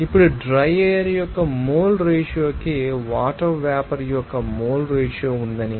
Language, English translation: Telugu, Now, if I say that that there is a mole ratio of water vapor to you know mole ratio of the dry air